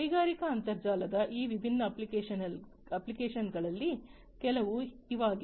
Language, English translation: Kannada, These are some of these different applications of the industrial internet